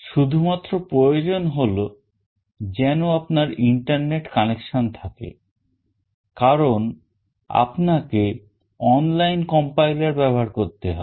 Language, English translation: Bengali, The only requirement is that you need to have internet connection because you will be using an online compiler